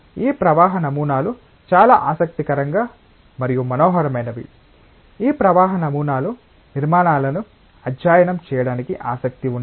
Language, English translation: Telugu, This flow patterns are so interesting and so fascinating that if one is interested to study the structures of this flow patterns